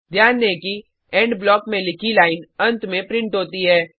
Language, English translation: Hindi, Notice that: The line written inside the END block is printed last